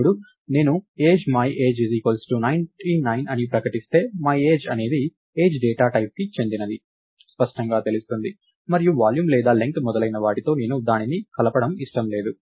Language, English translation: Telugu, Now, if I declare Age myAge equals 99 its clear that my age is of Age data type and I don't want to mix it with things like, volume or length and so, on